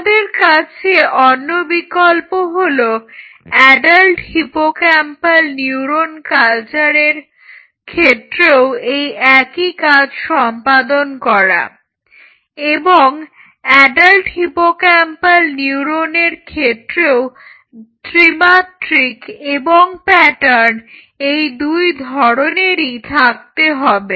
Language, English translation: Bengali, Now adult hippocampal neuron culture and this adult hippocampal neuron culture further if it could be in three dimensions as well as a pattern